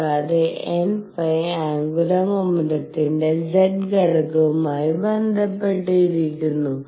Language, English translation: Malayalam, And n phi is related to the z component of the angular momentum